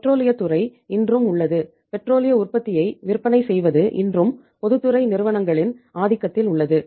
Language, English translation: Tamil, Say even even petroleum sector is even today marketing of the petroleum product is even today dominated by the public sector companies